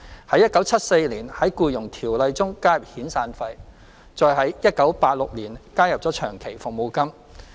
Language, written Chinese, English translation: Cantonese, 在1974年，在《僱傭條例》中加入遣散費，再於1986年加入長期服務金。, Severance payment and long service payment were then introduced under the Employment Ordinance in 1974 and 1986 respectively